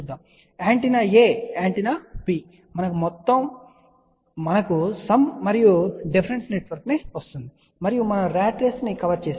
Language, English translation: Telugu, So, antenna A antenna B we have a sum and difference network, and we have just covered ratrace